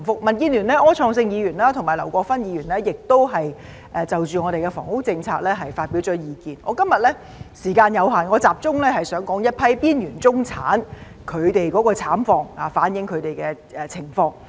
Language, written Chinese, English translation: Cantonese, 民主建港協進聯盟的柯創盛議員和劉國勳議員亦已就房屋政策發表意見，由於時間有限，我今天想集中說說一批邊緣中產的慘況，反映他們的情況。, Mr Wilson OR and Mr LAU Kwok - fan of the Democratic Alliance for the Betterment and Progress of Hong Kong have also expressed their views on the housing policy . Given the time constraints I would like to focus on the plights of the marginalized middle class today and reflect their situation